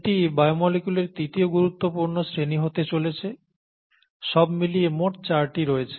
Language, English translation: Bengali, This is going to be a third major class of biomolecules, totally there are four